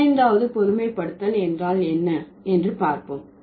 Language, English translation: Tamil, So, let's see what is the 15th generalization